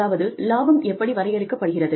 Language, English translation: Tamil, That is, how profit is defined